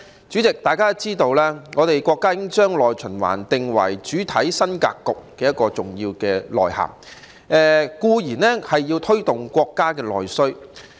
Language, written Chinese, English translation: Cantonese, 主席，大家都知道，國家已經將內循環定為主體新格局的重要內涵，當然要推動國家的內需。, President as we all know the country has taken internal circulation as an important mainstay element of the new development pattern so it is definitely necessary to stimulate the countrys domestic demand